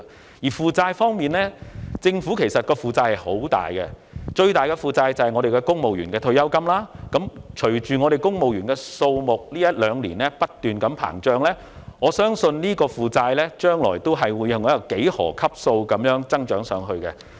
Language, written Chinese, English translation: Cantonese, 至於負債方面，其實政府有巨額的負債，最大部分在於公務員的退休金，隨着公務員的數目在這一兩年不斷膨脹，我相信在未來，有關的負債額將會按幾何級數增長。, As regards liabilities the Government is actually under huge liabilities the largest part of which being in the pensions for civil servants and as the number of civil servants has kept increasing in recent two years I believe that the amount of the liabilities will increase at an exponential rate in the future